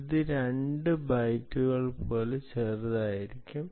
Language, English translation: Malayalam, it can be as small as as even two bytes